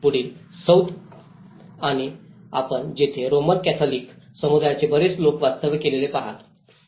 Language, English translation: Marathi, In further South, you see more of the Roman Catholic communities live there